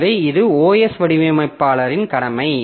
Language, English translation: Tamil, So that is the duty of the OS designer